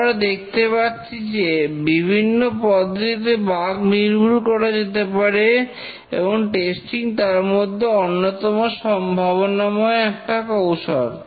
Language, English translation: Bengali, So as you can see that there are various ways in which we can remove the bugs and testing remains as one of the most promising ways of reducing the bugs